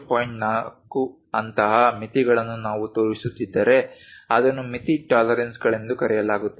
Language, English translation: Kannada, 4 such kind of limits if we are showing that is called limit tolerances